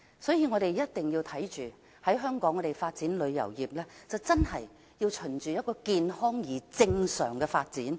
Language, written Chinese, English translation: Cantonese, 因此，我們一定要確保香港的旅遊業，是循着健康而正常的方向發展。, Therefore we must ensure that Hong Kongs tourism industry will develop towards a healthy and normal direction